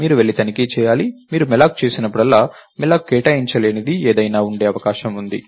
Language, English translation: Telugu, You have to go and check, whenever you do a malloc, its possible that there is something that malloc can not allocate